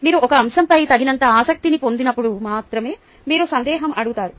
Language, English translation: Telugu, you ask a doubt only when you get sufficiently interested in a topic